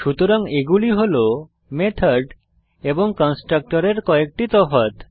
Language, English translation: Bengali, Now let us see some difference between method and a constructor